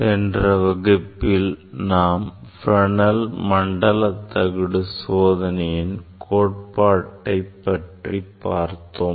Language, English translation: Tamil, in last class I have discussed about the theory of a Fresnel Zone plate experiment